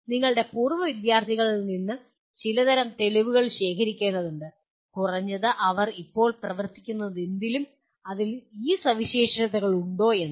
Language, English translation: Malayalam, Some kind of proof will have to be collected from your alumni to see that at least they are whatever they are presently working on has these features in it